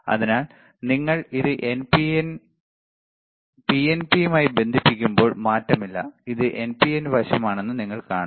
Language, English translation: Malayalam, So, when you connect it to PNP, see, no change, you see this is PNP side